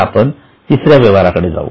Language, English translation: Marathi, Now let us go to the third one